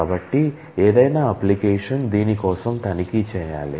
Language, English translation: Telugu, So, any application will need to check for this